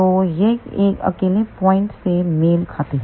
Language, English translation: Hindi, So, that corresponds to the single point